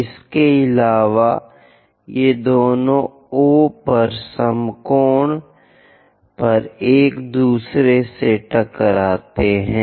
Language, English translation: Hindi, And these two bisect with each other at right angles at O